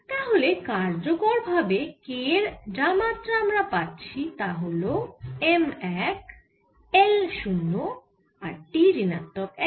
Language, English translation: Bengali, so the effective dimension we have, the dimension of k is m one, l, zero and t minus one